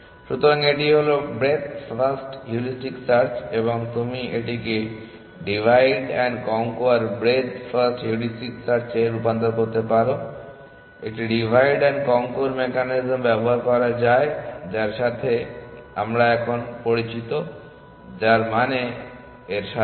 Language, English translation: Bengali, So, this is Breadth first heuristic search and you can convert this into divide and conquer breadth first heuristic search by using a divide and conquer mechanism of which we are by now familiar which means that along with